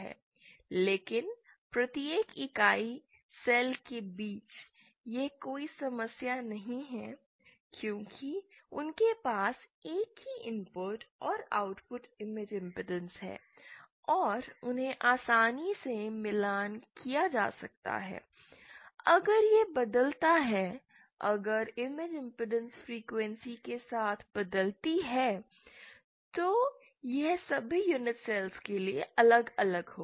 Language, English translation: Hindi, they have the same input and output image impedance and they can easily be matched, if it varies, if the image impedance varies with frequency then it will vary for all the unit cells